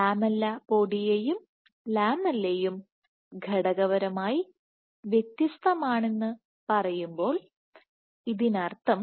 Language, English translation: Malayalam, So, which means when you say lamellipodia and lamella are materially distinct